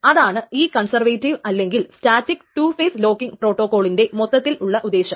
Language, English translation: Malayalam, So that is the whole point of this conservative or static two phase locking protocol